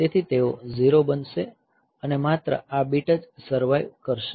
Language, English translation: Gujarati, So, they will become 0 and only this bit will survive, yes this bit will survive